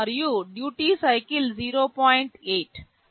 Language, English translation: Telugu, And duty cycle 0